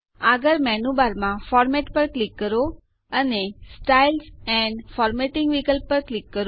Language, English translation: Gujarati, Next click on Format in the menu bar and click on the Styles and Formatting option